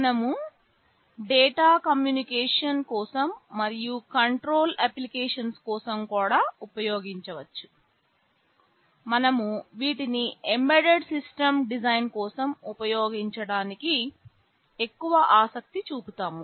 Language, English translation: Telugu, We can use for data communication and also for control applications, which we would be more interested in for embedded system design